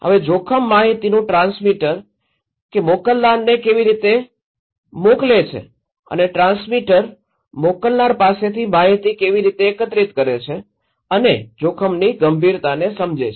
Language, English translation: Gujarati, Now, the transmitter of risk information, that how the sender is that the transmitter is collecting the informations from the senders and the perceived seriousness of the risk okay